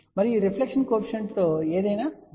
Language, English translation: Telugu, And anything along this reflection coefficient well vary